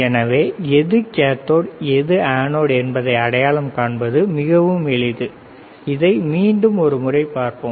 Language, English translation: Tamil, So, the is very easy to identify which is anode which is cathode again once again let us see this is the, right